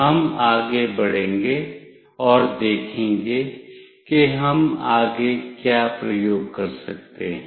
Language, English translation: Hindi, We will move on and we will see that what all experiments we can do next